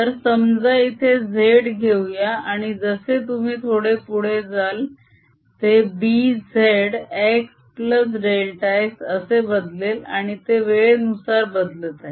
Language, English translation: Marathi, so let's put z here and as you go little farther out, it changes to b, z, x plus delta x, and it also is changing with time